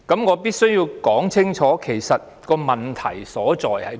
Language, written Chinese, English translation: Cantonese, 我必須清楚指出問題所在。, I must state the problem clearly